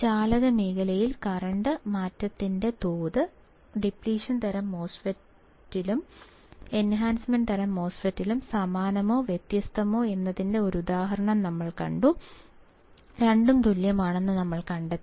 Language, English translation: Malayalam, We have seen an example of whether the change in the rate of change of current in the conduction region in depletion type and enhancement type is same or different; we found that both is same